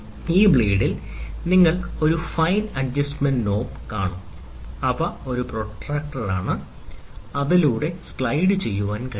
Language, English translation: Malayalam, Then in this blade, you will see a fine adjustment knob, which are a protractor, which slides through which can slide